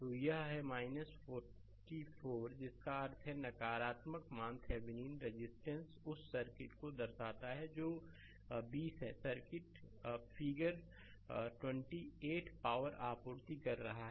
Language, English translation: Hindi, So, it is minus 4 ohm that means, negative value Thevenin resistance indicates that circuit of that one that is twenty]circuit; twenty figure 28 is supplying power right